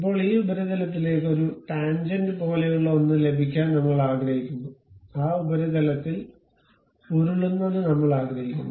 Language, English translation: Malayalam, Now, I would like to have something like tangent to this surface, rolling on that surface only I would like to have